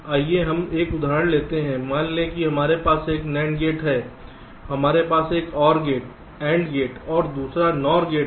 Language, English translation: Hindi, lets take an example as follows: lets say we have an nand gate, we have an or gate and gate and another nor gate